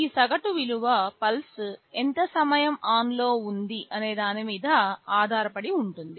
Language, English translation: Telugu, This average value will very much depend on how much time the pulse is on